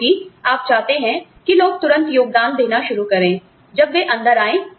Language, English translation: Hindi, Because, you want people to immediately start contributing, when they come in